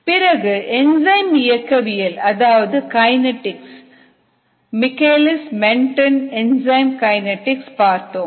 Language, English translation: Tamil, we looked at ah enzyme kinetics, the michaelis menten enzyme kinetics